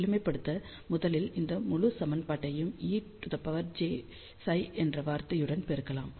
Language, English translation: Tamil, So, to do the simplification, let us first multiply this entire equation with the term E to the power j psi